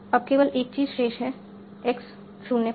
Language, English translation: Hindi, Now the only thing remains is x 05